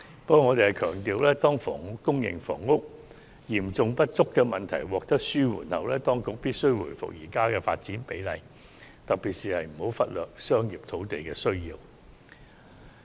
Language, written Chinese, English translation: Cantonese, 不過，我們強調當房屋供應和房屋嚴重不足的問題得到紓緩後，當局必須回復現時的發展比例，特別是不能忽略發展商業土地的需要。, However we must stress that when the serious shortage of land and housing supply is alleviated we should switch back to the current development ratio and in particular the Government should not neglect the need to develop land for commercial use